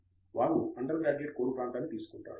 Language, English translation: Telugu, They would take an undergraduate core area